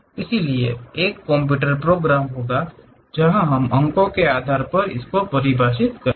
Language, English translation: Hindi, So, there will be a computer program where we we will define based on the points